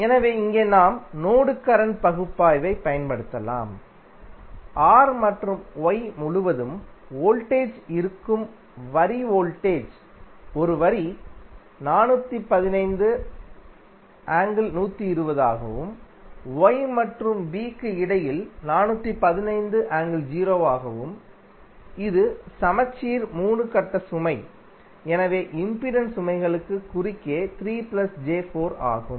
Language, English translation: Tamil, So, here also we can apply the mesh current analysis, the voltage a line to line voltage that is voltage across these two terminals is given as 415 angle 120 degree and between these two nodes is 415 angle 0 degree and this is balanced 3 phase load, so the impedance is across the loads is 3 plus 4j ohm